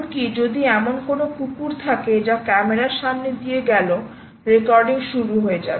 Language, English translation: Bengali, even if there is a dog which cuts the camera, its going to start recording